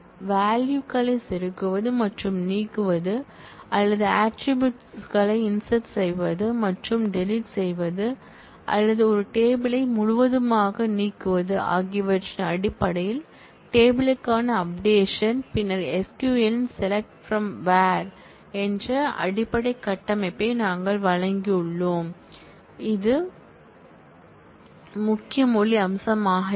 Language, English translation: Tamil, And the updates to the table in terms of insertion and deletion of values or addition or deletion of attributes or removing a table altogether and then, we have given the basic structure of the select from where query of SQL, which will be the key language feature of a query language, that we will continue to discuss all through this course